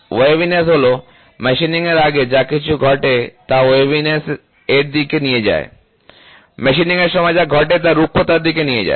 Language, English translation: Bengali, Waviness is before machining whatever does that leads to waviness, whatever happens during machining leads to roughness